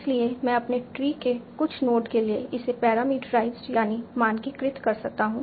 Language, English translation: Hindi, So again it is parameterized for certain node of my tree